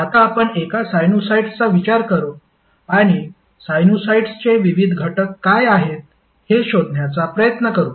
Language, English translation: Marathi, Now let's consider one sinusoid and try to find out what are the various components of the sinusoids